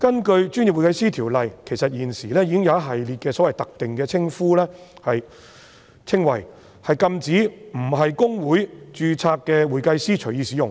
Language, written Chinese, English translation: Cantonese, 其實，《條例》已訂明一系列特定的稱謂，禁止非公會註冊的會計師隨意使用。, In fact the Ordinance has provided a list of specified descriptions which anyone not being a certified public accountant registered with HKICPA is prohibited from using